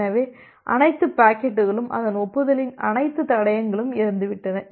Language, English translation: Tamil, So, all the packets and all the traces of its acknowledgement are dead